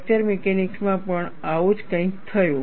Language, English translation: Gujarati, Something similar to that also happened in fracture mechanics